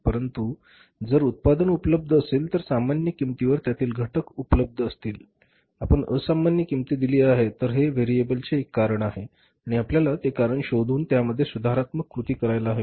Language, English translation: Marathi, But for example if the product was available, input was available at the normal cost but we have paid the abnormal cost then this is a cause of the variance and we have to find out that cause and take the corrective actions